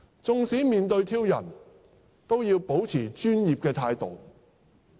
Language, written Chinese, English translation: Cantonese, 縱使面對挑釁，都要保持專業態度。, Even in the face of provocation they must maintain a professional attitude